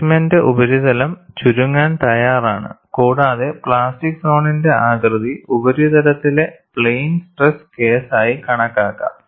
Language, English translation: Malayalam, The surface of the specimen is ready to contract and the plastic zone shape can be approximated to be as that for plane stress case at the surface